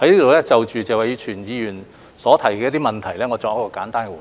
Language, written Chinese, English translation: Cantonese, 我在此就謝偉銓議員提出的問題作簡單回應。, Let me give a brief reply to the questions raised by Mr Tony TSE